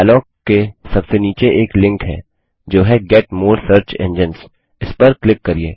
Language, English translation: Hindi, At the bottom of the dialog is a link that say Get more search engines…